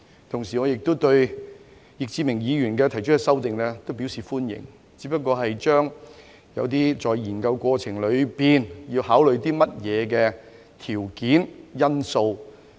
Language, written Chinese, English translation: Cantonese, 同時，我亦對易志明議員提出的修正案表示歡迎，只是更為豐富一些在研究過程裏要考慮的條件和因素。, At the same time I also welcome the amendment proposed by Mr Frankie YICK which simply beefs up some criteria and factors to be taken into consideration in the course of examining the issue